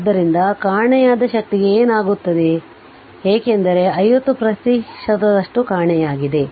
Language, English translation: Kannada, So, what happens to the missing energy because 50 percent is missing